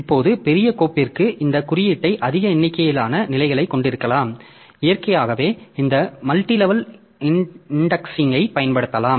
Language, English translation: Tamil, Now for large file of course there we can have more number of levels in the in the in this index and naturally we just like this multi level indexing that can be used